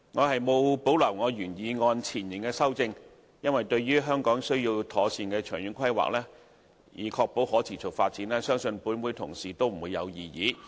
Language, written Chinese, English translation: Cantonese, 我沒有保留我原修正案前部分的修正，因為對於"香港需要妥善的長遠規劃，以確保可持續發展"，相信立法會同事不會有異議。, I do not retain the first part of my original amendment because I think no Honourable colleagues would dispute that Hong Kong needs proper long - term planning to ensure sustainable development